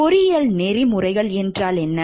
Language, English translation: Tamil, So, what is engineering ethics